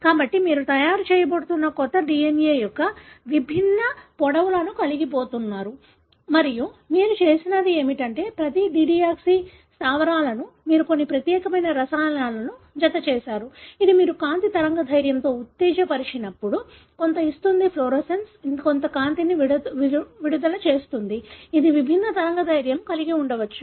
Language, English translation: Telugu, So, you are going to have different lengths of new DNA that is being made and what you have done is, for each one of the dideoxy bases you have attached some unique chemicals, which when you excite with certain wavelength of light, will give some fluorescence, will emit some light, which could be of different wavelength